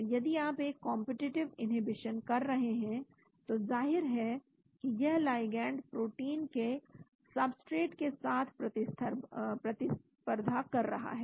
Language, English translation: Hindi, so if you are doing a competitive inhibition, so obviously then the ligand has to be competing for the substrate of the protein